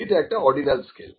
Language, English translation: Bengali, So, this is ordinal scale